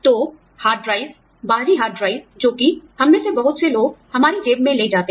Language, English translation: Hindi, So, hard drives, external hard drives, a lot of us carry, that those, in our pockets